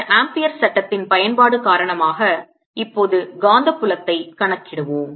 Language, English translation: Tamil, let us now calculate the magnetic field due to this, applying amphere's law